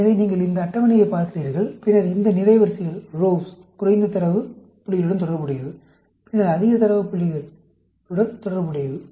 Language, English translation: Tamil, So, you look at this table, and then, these rows correspond to the lower data points; this corresponds to the higher data points